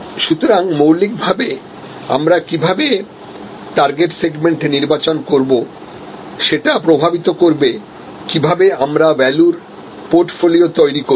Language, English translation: Bengali, So, fundamentally therefore, how do we select target segments will anyway influence, how we will create our portfolio of values